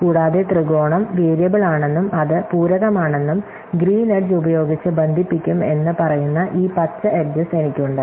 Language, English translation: Malayalam, So, in addition to the triangle, I have these green edges saying that variable and it is compliment will be connected by green edge